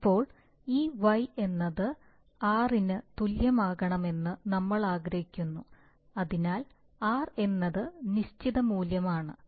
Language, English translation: Malayalam, Now obviously we want to, what we want we want that this r be equal to y, so we want to, r is a certain values